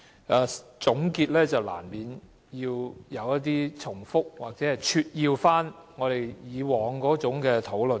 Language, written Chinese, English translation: Cantonese, 既然是總結，難免會重複或撮要我們以往的討論。, As it is a conclusion inevitably we will repeat or summarize our previous discussion